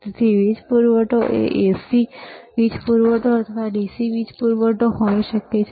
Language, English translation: Gujarati, So, power supply can be AC power supply or DC power supply